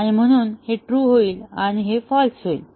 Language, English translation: Marathi, And therefore, this will become true and this is false